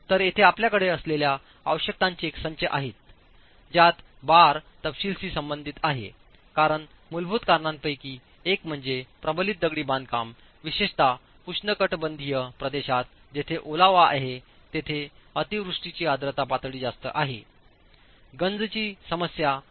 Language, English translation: Marathi, There are a set of requirements that you have as far as reinforcement detailing is concerned because one of the fundamental reasons because of which reinforced masonry is not very popular, particularly in tropical regions where there is moisture, there is heavy rainfall, humidity levels are high, is the problem of corrosion